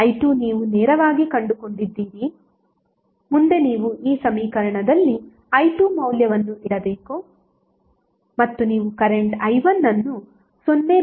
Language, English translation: Kannada, I2 you have a straightaway found, next is you have to just place the value of i2 in this equation and you will get current i1 as 0